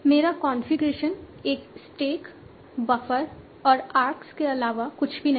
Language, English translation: Hindi, My configuration is nothing but stack, buffer and arcs